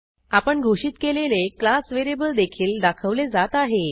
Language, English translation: Marathi, You will notice the class variable you defined, also show up